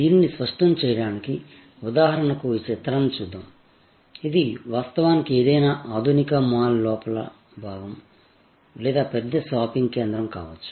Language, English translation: Telugu, To clarify this, let us for example look at this picture, this could be actually the interior of any modern mall or a sort of large shopping centre